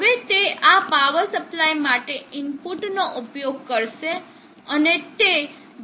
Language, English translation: Gujarati, Now that will be using input to this power supply and that will give the necessary output